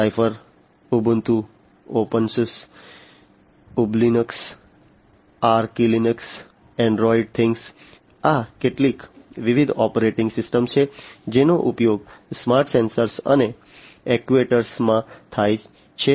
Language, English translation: Gujarati, Zephyr, Ubuntu, Opensuse Ublinux, Archlinux, Androidthing, these are some of the different operating systems that are used in the smart sensors and actuators